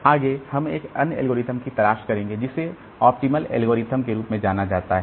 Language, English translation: Hindi, Next we'll be looking into another algorithm which is known as optimal algorithm